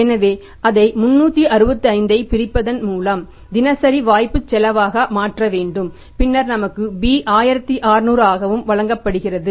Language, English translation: Tamil, So we have to convert it into daily opportunity cost by dividing it 365 and then we are given B also which is 1600